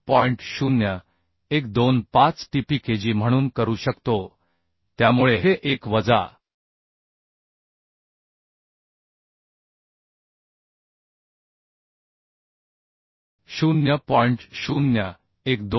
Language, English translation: Marathi, 0125 tPkg so this is 1 minus 0